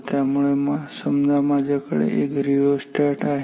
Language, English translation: Marathi, So, say I have a resistance rheostat